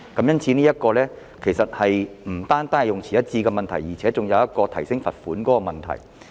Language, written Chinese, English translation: Cantonese, 因此，這不止是用詞一致的問題，還涉及提高罰款的問題。, Therefore this is not just a matter of consistency of expressions but also an increase in fine